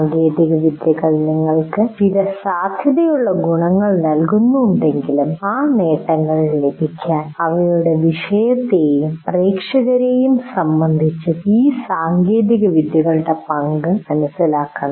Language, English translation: Malayalam, While technologies give you certain potential advantages, but to get those advantages, you have to understand the role of these technologies with respect to your particular subject and to your audience